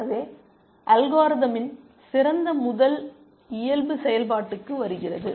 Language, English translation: Tamil, So, that is where the best first nature of the algorithm comes into play